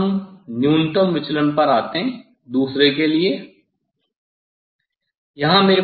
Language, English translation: Hindi, Then let us come for the minimum deviation for different one